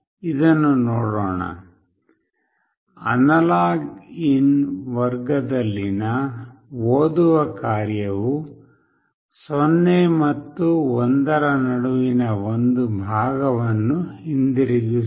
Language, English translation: Kannada, Let us see this, the read function in the AnalogIn class returns a fraction between 0 and 1